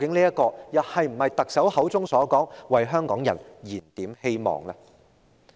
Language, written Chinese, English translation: Cantonese, 這是否特首所說的為香港人燃點希望呢？, Is this what the Chief Executive means by rekindling hope for the people of Hong Kong?